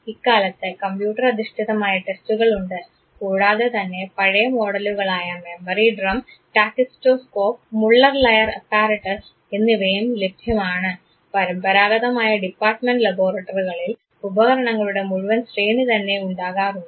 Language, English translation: Malayalam, Nowadays computer assisted tests are there, there are old models know memory drum, tachistoscope, Muller Lyer apparatus; traditional department laboratories would have whole range of apparatus there